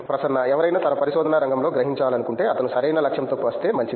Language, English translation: Telugu, If anybody wants to perceive in his in the field of research, if he come with proper goal is good